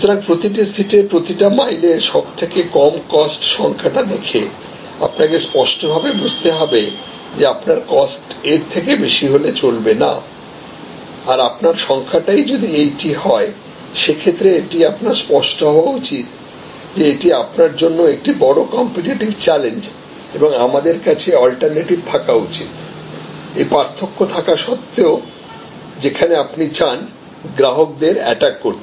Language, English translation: Bengali, So, this cost per seat air mile, if this is the lowest cost then you have to be very clear that if you or not able to go beyond this points say and they this is your position then you should be clear that this is a major competitive challenge for you and they we have to have alternatives, where you will able to attack customers in spite of this difference